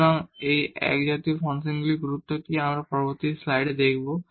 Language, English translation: Bengali, So, what is the importance of these homogeneous functions: we will see in the next slide